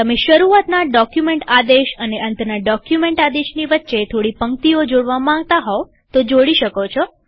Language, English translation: Gujarati, You may wish to add a few more lines of text in between the begin and end document commands